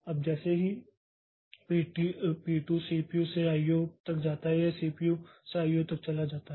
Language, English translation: Hindi, Now as soon as P2 goes from CPU to IO, from CPU to I